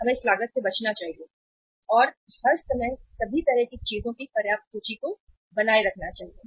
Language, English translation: Hindi, We should avoid this cost and all the times sufficient inventory of all kind of the things should be maintained